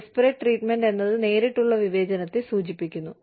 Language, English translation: Malayalam, Disparate treatment refers to, direct discrimination